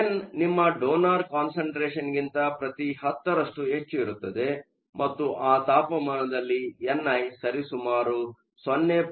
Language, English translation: Kannada, So, n is 10 percent more than your donor concentration; and at that temperature n i is approximately 0